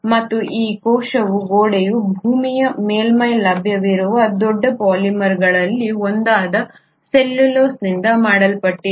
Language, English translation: Kannada, And this cell wall is made up of one of the largest polymers available on the surface of the earth which is the cellulose